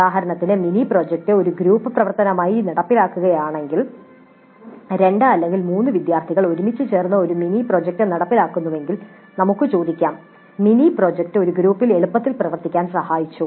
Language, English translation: Malayalam, For example, if the mini project is implemented as a group activity, two or three students combining together to execute the mini project, then we can ask a question like the mini project helped in working easily in a group